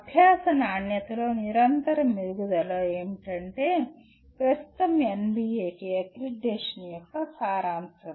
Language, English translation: Telugu, Continuous improvement in the quality of learning is what characterize is the essence of present NBA accreditation